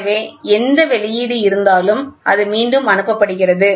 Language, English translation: Tamil, So whatever output is there it is getting retransmitted